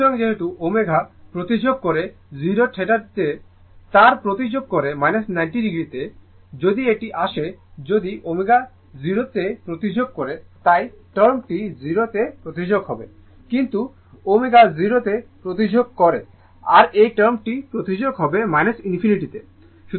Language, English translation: Bengali, So, as omega tends to 0 theta tends to minus 90 degree, if you come to that if omega tends to 0 this term will be tends to 0, but as omega tends to 0 this term will tends to minus infinity right